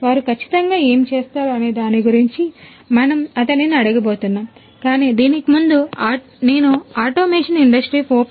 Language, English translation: Telugu, So, we are going to ask him about what they exactly do, but before that I wanted to talk about the level of maturity of automation Industry 4